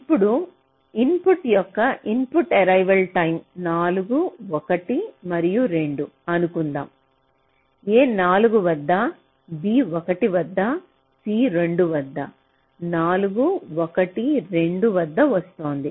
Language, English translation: Telugu, now, if we assume that the input arrival time of the inputs are four, one and two, a is coming at four, b at one, c at two, four, one, two